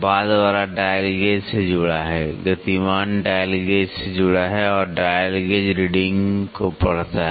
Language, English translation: Hindi, The latter is connected to the dial gauge the moving is connected to the dial gauge and the dial gauge reads the reading